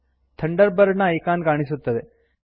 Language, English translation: Kannada, The Thunderbird icon appears